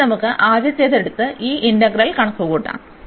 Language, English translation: Malayalam, So, let us take the first one and then compute this integral